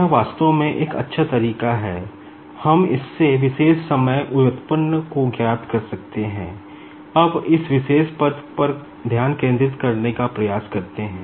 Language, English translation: Hindi, So, this is the way actually, we can find out this particular time derivative, now, let us try to concentrate on this particular term